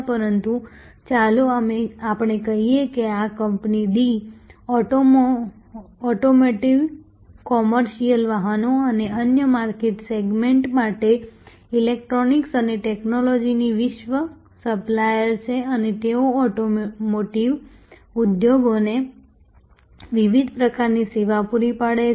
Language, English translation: Gujarati, But, let us say this company D is a global supplier of electronics and technologies for automotive, commercial vehicles and other market segments and they provide various types of services to the automotive industry